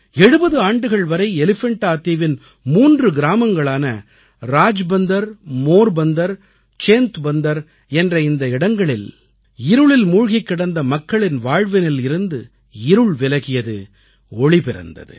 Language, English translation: Tamil, For 70 years, the lives of the denizens of three villages of the Elephanta Island, Rajbunder, Morbandar and Centabandar, were engulfed by darkness, which has got dispelled now and there is brightness in their lives